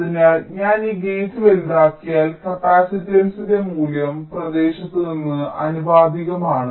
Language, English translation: Malayalam, so if i make this gate larger, the value of the capacitance is proportional to the area